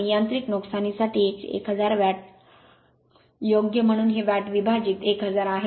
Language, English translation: Marathi, And 1000 watt for mechanical losses right, so this is watt divided by 1000